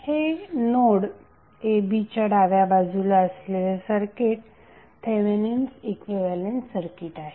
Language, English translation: Marathi, So that circuit to the left of this the node a b is called as Thevenin equivalent circuit